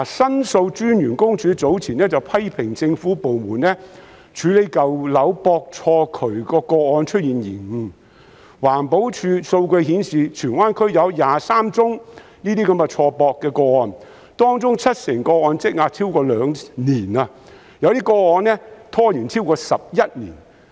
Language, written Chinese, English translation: Cantonese, 申訴專員公署早前批評政府部門處理舊樓錯駁渠管的個案出現延誤，環保署的數據顯示，荃灣區有23宗這些錯駁的個案，當中七成個案積壓超過兩年，有些個案拖延超過11年。, Earlier on the Office of The Ombudsman has criticized government departments for the delay in handling cases of misconnection of drains in old buildings . As shown by EPDs data there are 23 such cases of misconnection in Tsuen Wan of which 70 % have been pending for more than two years while some have been delayed for more than 11 years